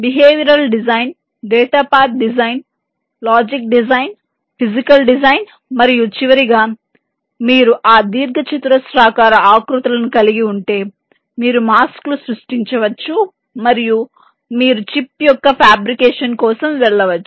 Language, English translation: Telugu, i have already mentioned them: behavior design, data path design, logic design, physical design and finally, once you have those rectangular shapes, you can create the masks and you can go for fabrication of the chip